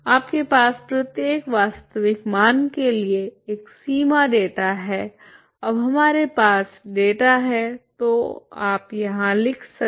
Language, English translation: Hindi, You have a boundary data for every real value now we have the data so you can write here